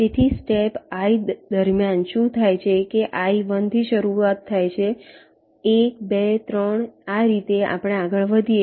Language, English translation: Gujarati, so what is done is that during step i, i starts with one, one, two, three